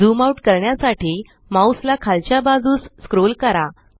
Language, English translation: Marathi, Scroll the mouse wheel downwards to zoom out